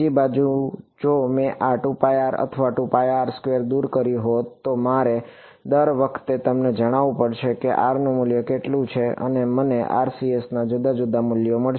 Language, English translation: Gujarati, On the other hand if I had removed this 2 pi r or 4 pi r squared, then I would have to every time tell you at what value of r and I will get different values of the RCS